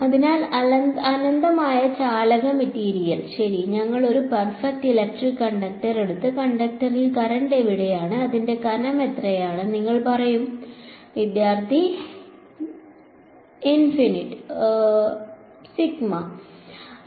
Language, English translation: Malayalam, So, infinitely conductive material right; so, in a like we take a perfect electric conductor and ask you where is the current on the conductor, in how much thickness is it in, what would you say